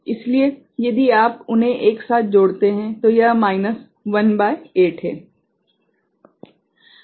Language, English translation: Hindi, So, if you add them together so, it is minus 1 by 8